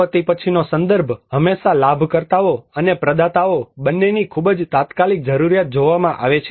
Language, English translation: Gujarati, The post disaster context is always seen a very immediate need for both the beneficiaries and the providers